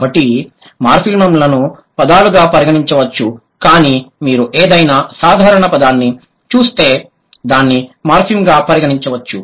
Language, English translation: Telugu, So, morphems can be, it's not always that the morphemes can be considered as words, but if you look at any simple word, it can be considered as a morphem